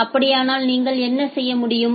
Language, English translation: Tamil, In that case what can you do